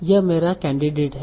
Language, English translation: Hindi, This is my candidate